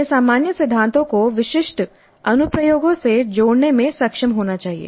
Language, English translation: Hindi, They must be able to relate the general principles to the specific applications